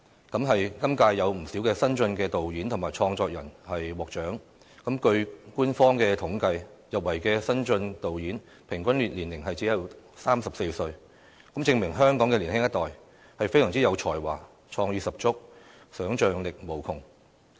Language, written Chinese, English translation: Cantonese, 今屆有不少新晉導演和創作人獲獎，據官方統計，入圍的新晉導演平均年齡只有34歲，證明香港的年輕一代，是非常有才華、創意十足、想象力無窮。, A number of new film directors and filmmakers have won awards this year . According to official statistics the average age of these new film directors shortlisted is at 34 a proof that the young generation in Hong Kong are very talented and creative gifted with rich imagination